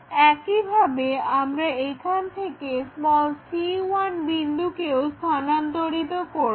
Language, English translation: Bengali, Now, we can project this c point and a point